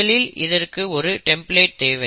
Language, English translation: Tamil, So it needs what we call as a template